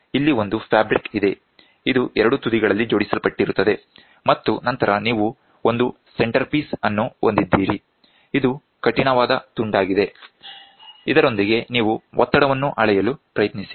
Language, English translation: Kannada, So, here is a fabric which is there, this is attached at both ends and then you have a centerpiece which is yeah a rigid piece with which you try to measure the pressure